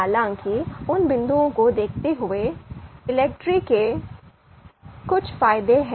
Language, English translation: Hindi, However, given those points, there are certain advantages of ELECTRE